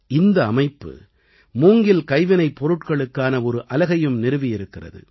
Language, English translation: Tamil, This society has also established a bamboo handicraft unit